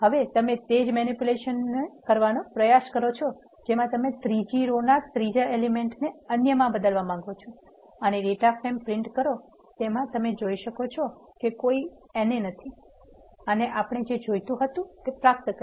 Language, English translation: Gujarati, Now try doing the same manipulation you want to change the third row third element to others and print the data frame you can see that there is no NA anymore and we achieved what we want